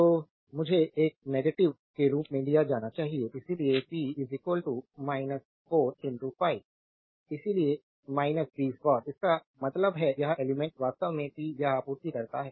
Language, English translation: Hindi, So, I should be taken as a negative; so, p is equal to minus 4 into 5; so, minus 20 watt; that means, this element actually supplying the power